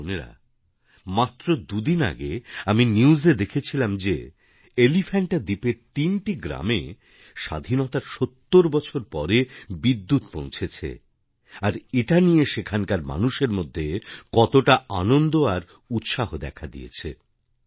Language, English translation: Bengali, My dear Brothers and sisters, I was just watching the TV news two days ago that electricity has reached three villages of the Elephanta island after 70 years of independence, and this has led to much joy and enthusiasm among the people there